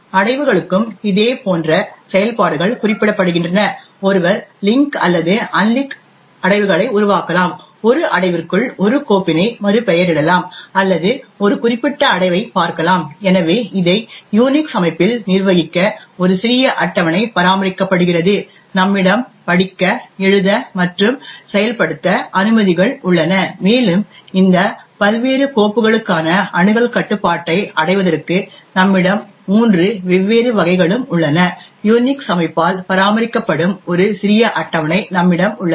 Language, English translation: Tamil, Similar kind of operations are specified for directories as well, one could create link or unlink directories, rename a file within a directory or look up a particular directory, so in order to manage this in the Unix system there is a small table which is maintained, where we have the permissions read, write and execute and we also have three different varieties in order to achieve the access control for these various files, we have a small table which is maintained by the Unix system